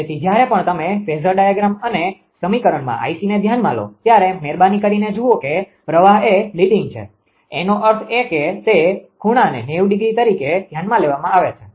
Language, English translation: Gujarati, So, whenever ah whenever you consider I c in this ah phasor diagram and simplification, please see that current is leading; that means, that that angle has to be considered by 90 degree right